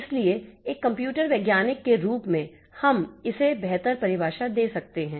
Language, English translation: Hindi, So, so as a computer scientist, we can have a much better definition than this